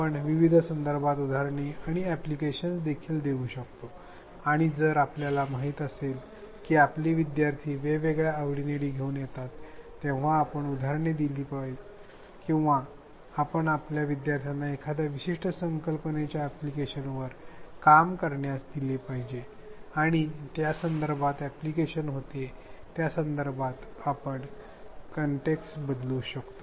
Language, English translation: Marathi, We can also provide examples and applications in various contexts and if we know that our learners come with different interests this is something we should do that when we give examples or when we give our students to work on applications of a part particular concept, we vary the context in which the application happens